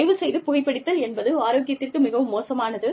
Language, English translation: Tamil, Please, smoking is very bad for health